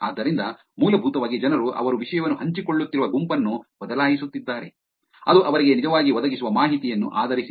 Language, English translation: Kannada, So essentially people are changing the group in which they are sharing the content depending on the information that the nudge is actually providing them